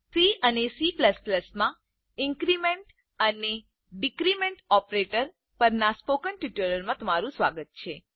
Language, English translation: Gujarati, Welcome to the spoken tutorial on Increment and Decrement Operators in C and C++